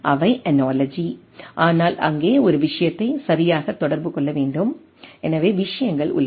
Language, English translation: Tamil, Those are analogy, but there also we require a things to be communicated right, so things are there